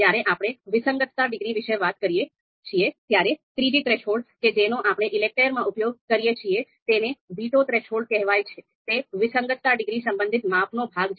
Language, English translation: Gujarati, When we talk about the discordance degree, then the third threshold that we use in ELECTRE is veto threshold, so this is going to be veto threshold is also going to be the part of the measurement related to discordance degree